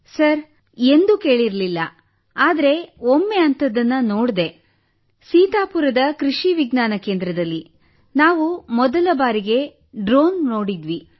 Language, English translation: Kannada, Sir, I had not heard about that… though we had seen once, at the Krishi Vigyan Kendra in Sitapur… we had seen it there… for the first time we had seen a drone there